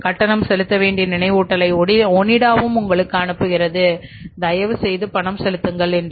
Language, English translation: Tamil, Onida will send you the reminder our payment is due please make us the payment